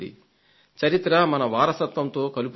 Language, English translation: Telugu, History binds us to our roots